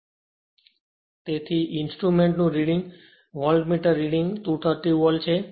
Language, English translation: Gujarati, So, therefore, the reading of the instrumental are voltmeter reading will be 13